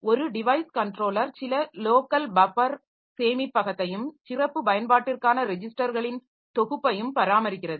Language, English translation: Tamil, A device controller maintains some local buffer storage and a set of special purpose registers